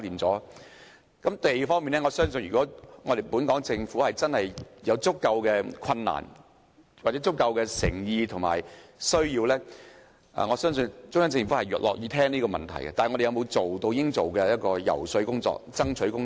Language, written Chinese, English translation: Cantonese, 在土地方面，我相信如果政府真的有足夠的困難、誠意或需要，中央政府是樂於聽取政府的意見的，但我們有否進行應有的遊說或爭取工作？, In respect of land I believe that if the Government is truly committed to solving the problem but has encountered difficulties in identifying land the Central Peoples Government is willing to listen but has the Government carried out the adequate lobbying work or has it worked hard enough to achieve the goal?